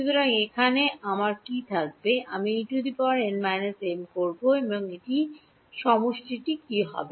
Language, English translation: Bengali, So, what will I have over here I will have E n minus m and this what will be the summation